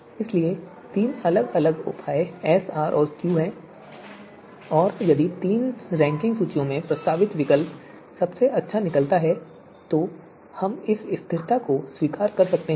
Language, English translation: Hindi, So three different measures S, R, and Q and if all three you know you know ranking lists based on these three measures if the proposed alternative is comes out to be the best then we can accept this stability